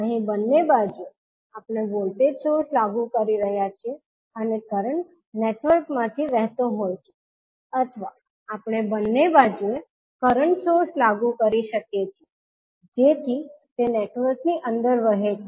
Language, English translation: Gujarati, Here at both sides we are applying the voltage source and the current is flowing to the network or we can apply current source at both sides so that it flows inside the network